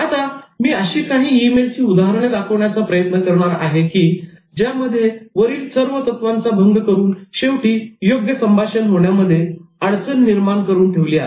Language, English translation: Marathi, Now, I try to show some email examples that violated all these principles and ended up causing some disaster in terms of communication